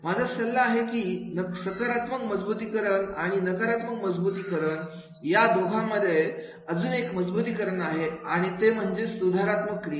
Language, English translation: Marathi, My suggestion is that is between the positive reinforcement and negative reinforcement, there is one more reinforcement and that is the corrective action